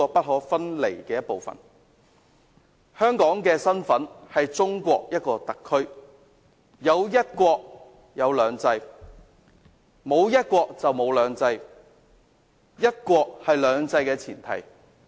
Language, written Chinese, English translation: Cantonese, 香港的身份是中國的一個特區，有"一國"，便有"兩制"，沒有"一國"，便沒有"兩制"，"一國"是"兩制"的前提。, As Hong Kong is a special administrative region of China the existence of two systems is premised on one country . Without one country we will not have two systems . One country is the precondition for two systems